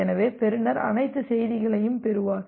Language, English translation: Tamil, So, the receiver will receive all the messages